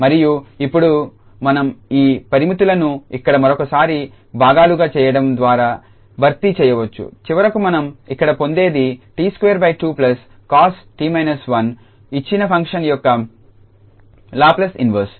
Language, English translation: Telugu, And now we can substitute those limits by doing here also once again this pi parts what finally we will get here t square by 2 plus cos t minus 1 as the Laplace inverse of the given function